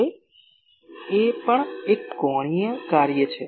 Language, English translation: Gujarati, Now, gain also is an angular function